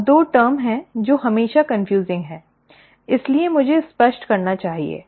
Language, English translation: Hindi, Now, there are two terms which are always confusing, so let me clarify that